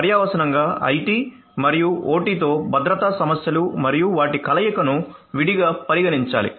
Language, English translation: Telugu, So, consequently one needs to consider the security issues with IT and OT and their convergence separately